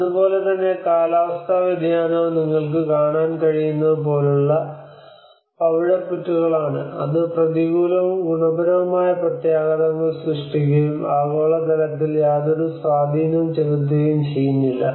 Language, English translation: Malayalam, So and similarly the climate change like what you can see is the coral reefs, which has a negative and positive impacts and no effect on the global level